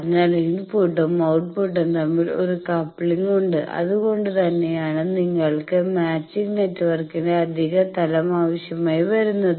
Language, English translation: Malayalam, So, input and output there is a coupling that is why you need an extra level of matching network